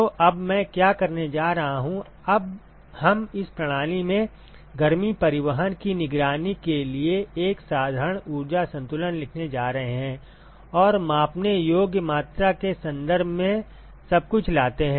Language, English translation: Hindi, So, now, what I am going to do is, we are going to write a simple energy balance in order to monitor the heat transport in this system and bring everything in terms of the measurable quantity